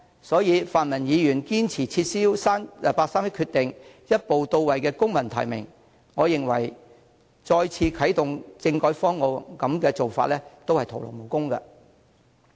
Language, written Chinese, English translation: Cantonese, 所以，泛民議員堅持撤銷八三一決定，一步到位採用公民提名，我認為即使再次啟動政改方案，也將會徒勞無功。, So as the pan - democrats are still insisting on rescinding the 31 August Decision and skipping all the steps to implement civil nomination I believe we will achieve nothing even if constitutional reform is really reactivated